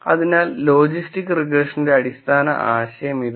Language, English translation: Malayalam, So, this is the basic idea of logistic regression